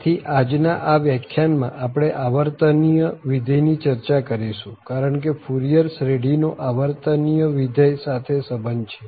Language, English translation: Gujarati, So, in this today’s lecture we will be discussing what are the periodic functions because there is a connection of the Fourier series to periodic function